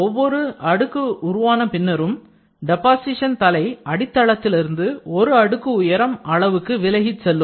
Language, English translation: Tamil, After each layer is formed the deposition head moves away from the substrate by one layer thickness